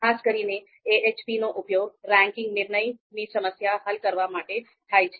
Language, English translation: Gujarati, Typically it is used, AHP is used to solve ranking decision problems